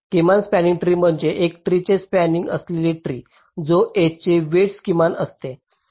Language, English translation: Marathi, minimum spanning tree is a tree, ah spanning tree, which whose some of the edge weights is minimum